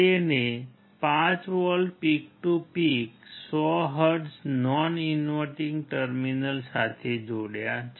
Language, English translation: Gujarati, He has connected 5 volts peak to peak 100 hertz to the non inverting terminal